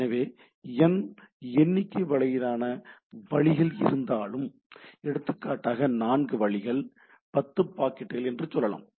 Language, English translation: Tamil, So, if there are ‘n’ number of routes or say there are 4 routes, 10 packets this anything can